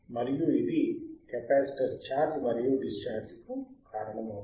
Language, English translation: Telugu, And this will cause the capacitor to charge charging aand discharging;e